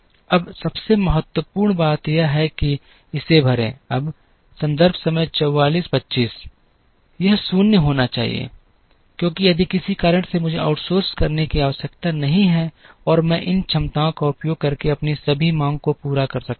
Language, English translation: Hindi, Now, the most important thing is to fill this, now this has to be 0, because if for some reason I do not have to outsource and I can meet all my demand using these capacities